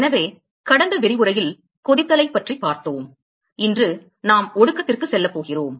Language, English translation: Tamil, So, we looked at boiling in the last lecture today we are going to move to condensation